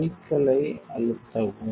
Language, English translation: Tamil, So, press the cycle